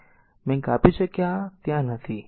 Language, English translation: Gujarati, So, I cut this is not there